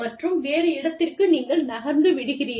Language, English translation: Tamil, And, you move, to a different location